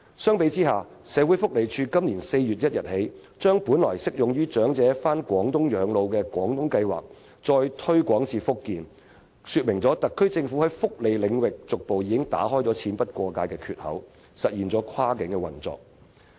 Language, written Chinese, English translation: Cantonese, 相比之下，社會福利署由本年4月起把本來適用於長者到廣東養老的"廣東計劃"再推廣至福建，說明特區政府在福利領域上已逐步打開"錢不過界"的缺口，實現跨境運作。, In contrast in April this year the Social Welfare Department further expanded the coverage of the Guangdong Scheme initially enabling elderly people to spend their twilight years in Guangdong to Fujian . This indicates that the SAR Government has progressively opened a crack in the restriction that money cannot cross the border in the welfare domain and materialized cross - boundary operation